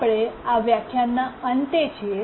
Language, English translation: Gujarati, We are at the end of this lecture